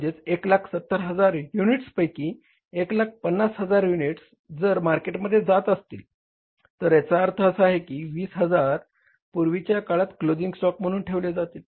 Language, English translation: Marathi, So, it means out of 170,000 units, if 150,000 units are going to the market, it means where this 20,000 units are, they are kept as closing stock